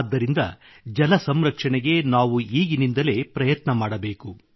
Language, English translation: Kannada, Hence, for the conservation of water, we should begin efforts right away